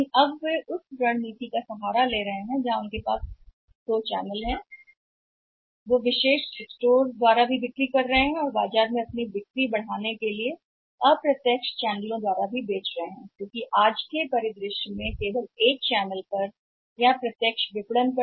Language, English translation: Hindi, But now they are resort into the strategy which is both that is their selling through the exclusive store also and they are selling through the say indirect channels also to maximize the sales in the market because in today scenario it is not possible to depend upon the one channel on the direct marketing only